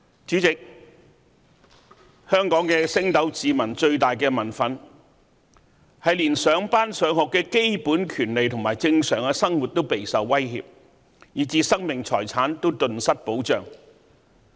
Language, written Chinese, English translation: Cantonese, 主席，香港升斗市民最大的民憤，是連上班、上學的基本權利和正常的生活都備受威脅，以致生命財產也頓失保障。, labour strike class boycott and strike by businesses . President the biggest anger of the common people in Hong Kong is that their basic rights of going to work and school are under threat and a loss of protection for their own lives and properties